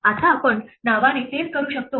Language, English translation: Marathi, Now we can do the same thing by name